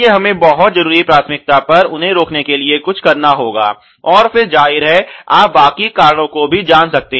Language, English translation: Hindi, So, we will have to do something to prevent them on a very urgent priority and then obviously, you can keep you know the remaining ones